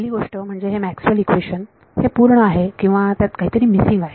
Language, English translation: Marathi, So, there is a j term first of all this Maxwell’s equation is a complete or there is something missing in it